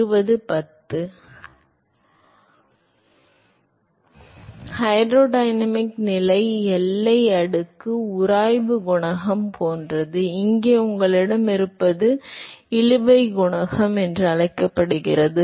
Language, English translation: Tamil, So, the hydrodynamic condition boundary layer, similar to friction coefficient: here what you have is called the drag coefficient